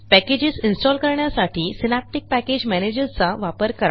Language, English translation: Marathi, Use Synaptic Package Manager to install packages